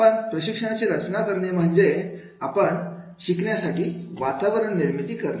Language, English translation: Marathi, So in designing the training means we have to create a learning environment